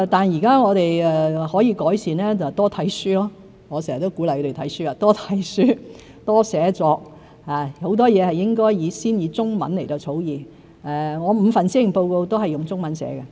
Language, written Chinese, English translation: Cantonese, 現在我們可以改善的就是多閱讀——我常常鼓勵多閱讀、多寫作，很多事都應先以中文草擬，我的5份施政報告也是先以中文撰寫。, What we can do now to make improvements is to read more―I always encourage people to read more and write more . In many cases we should do our drafting in Chinese first and I have also written all my five Policy Addresses in Chinese first